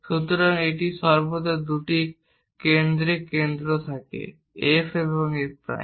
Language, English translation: Bengali, So, it has always two foci centres; F and F prime